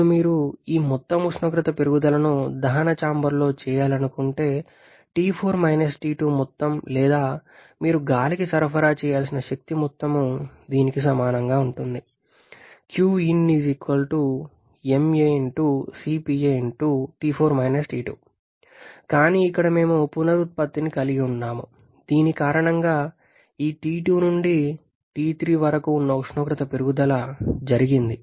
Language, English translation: Telugu, Now, if you want to have this entire temperature rise is being done in the combustion chamber T4 T2 amount or amount of energy that you have to supply to the air that will be equal to the mass of air into CP air into T4 T2 but here we are having regeneration done because of which this T2 to T3 rather I should say T2 to T3 the amount of temperature rise has taken place